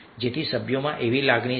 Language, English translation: Gujarati, so this is the feeling among the member